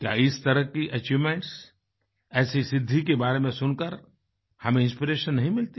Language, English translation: Hindi, Don't news of such achievements, such accomplishments inspire us